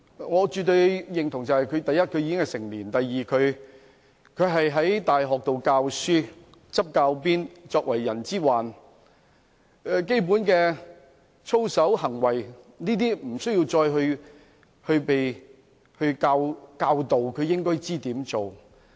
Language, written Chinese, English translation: Cantonese, 我絕對認同的是第一，他已經成年；第二，他在大學教書、執教鞭，作為"人之患"，對於基本的操守和行為，無須加以教導，他也應該知道怎樣做。, I absolutely agree that firstly he is already an adult; secondly he teaches at a university and works in the education sector . As a teacher he should know what he is supposed to do in terms of basic integrity and conduct without guidance from others